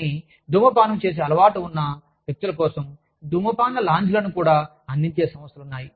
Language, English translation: Telugu, But, there are organizations, that even provide, smoking lounges for people, who are used to smoking